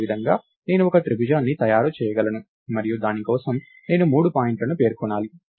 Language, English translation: Telugu, Similarly, I can make a triangle and I have to specify three points for it